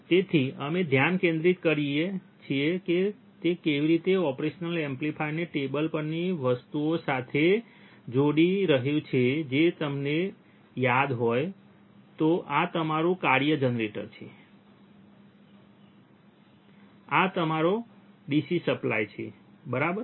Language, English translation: Gujarati, So, now we focus how he is connecting the operational amplifier with the things that we have on the table which is our if you remember, what is this is your function generator, this is your DC supply, right